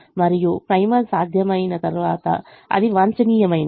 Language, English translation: Telugu, and once the primal became feasible, it is optimum